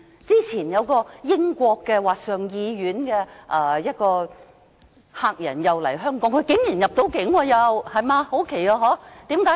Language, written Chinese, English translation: Cantonese, 早前有一位英國上議院的客人來港，他竟然能夠入境，很奇怪，對嗎？, Earlier on a guest from the House of Lords came to Hong Kong . To my surprise he was granted entry . It was very strange right?